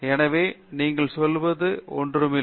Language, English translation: Tamil, So, that is not something that you are saying